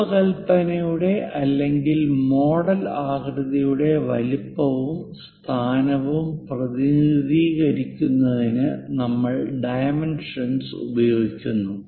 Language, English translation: Malayalam, We use dimension to represent size and position of the design or model shape